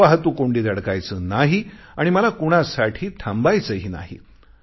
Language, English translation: Marathi, I don't have to be caught in a traffic jam and I don't have to stop for anyone as well